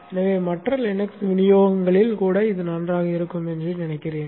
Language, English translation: Tamil, So I guess that it should be fine even in other Linux distributions